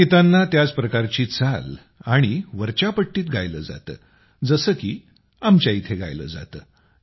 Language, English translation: Marathi, They are sung on the similar type of tune and at a high pitch as we do here